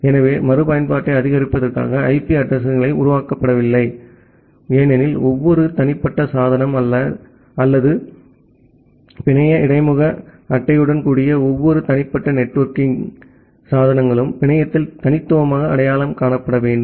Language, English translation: Tamil, So, ideally IP addresses are not developed to support reusability because, every individual device or every individual networking equipment with the network interface card should be uniquely identified in the network